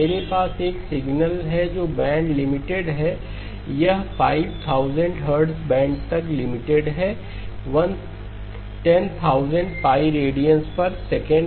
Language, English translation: Hindi, I have a signal which is band limited, it is band limited to 2pi times 5,000 hertz okay, 10,000 pi radians per second